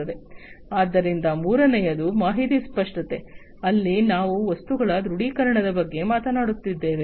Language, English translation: Kannada, So, the third one is information clarity, where we are talking about the visualization of the objects